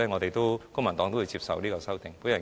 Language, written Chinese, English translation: Cantonese, 因此，公民黨會接受這些修訂。, Therefore the Civic Party accept these amendments